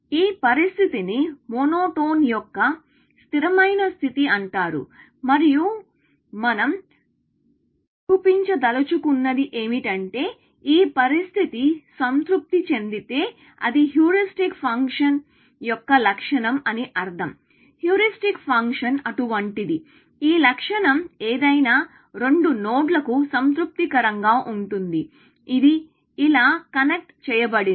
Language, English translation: Telugu, This condition is called monotone of consistency condition, and what we want to show is that if this condition is satisfied, which means that it is the property of the heuristic function; a heuristic function is such, that this property is satisfied for any two nodes, which connected like this